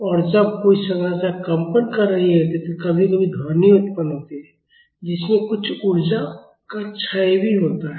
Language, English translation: Hindi, And, when a structure is vibrating sometimes sound is produced, so, that will also cause some energy to dissipate